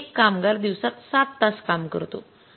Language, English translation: Marathi, A worker works for seven hours in a day